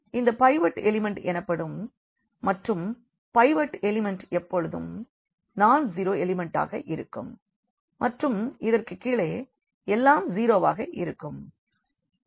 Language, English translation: Tamil, This is called the pivot element and pivot element is always non zero element and below this everything should be zero